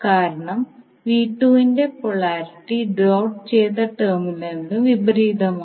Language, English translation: Malayalam, Because the polarity of V2 is opposite the doted terminal is having the negative